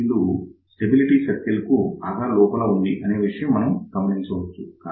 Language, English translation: Telugu, So, you can actually see that this particular point is deep inside the input stability circle